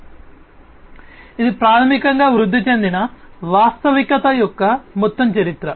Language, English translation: Telugu, So, this is basically the overall history of augmented reality